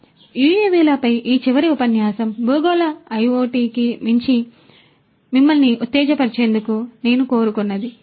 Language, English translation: Telugu, So, this last lecture on UAVs is something that I wanted to have in order to excite you more beyond the terrestrial IoT